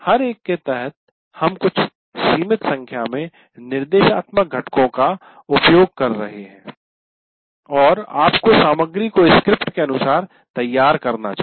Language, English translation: Hindi, Under each one we are using some limited number of instructional components and you have to prepare material according to that